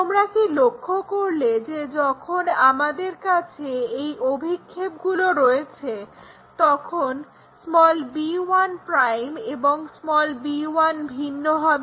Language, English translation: Bengali, You see b1' b1 will be different, when we have these projections